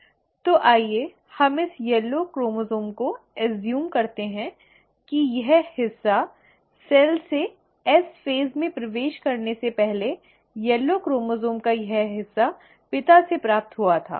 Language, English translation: Hindi, So let us assume this yellow chromosome is what this part, right, this part of the yellow chromosome before the cell entered S phase was received from the father